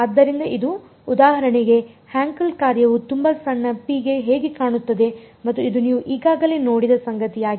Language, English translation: Kannada, So, this is for example, how the Hankel function looks like for very small rho and this is something you have already seen